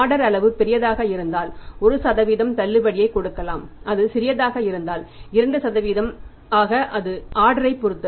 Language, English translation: Tamil, If the order size is very big than 1% discount and if it is small then it can be 2% depending upon the order